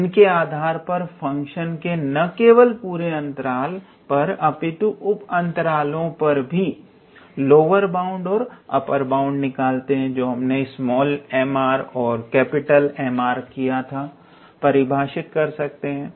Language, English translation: Hindi, We could be able to define those lower bounds and upper bounds not only for the function on the whole interval, but also on there was sub intervals